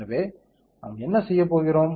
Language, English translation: Tamil, So, what are we going to do